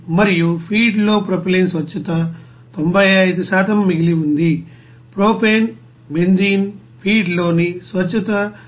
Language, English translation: Telugu, And propylene purity in the feed is 95% remaining is propane, benzene purity in the feed is about 99